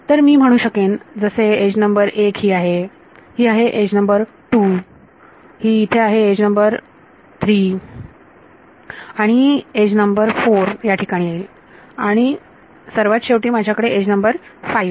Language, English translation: Marathi, So, I can say edge number 1 is this, edge number 2 is this, edge number 3 is here and edge number 4 comes here and finally, I have edge number 5 ok